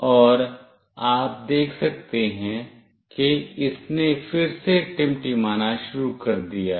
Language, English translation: Hindi, And you can see that it has started to blink again,